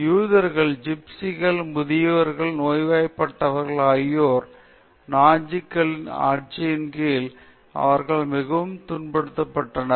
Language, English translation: Tamil, Jews and the gypsies, and old people, the sick people all of them suffered immensely under the rule of the Nazis